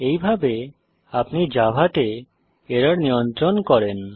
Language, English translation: Bengali, This is how you handle errors in java